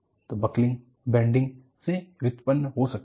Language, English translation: Hindi, So, buckling can be precipitated by bending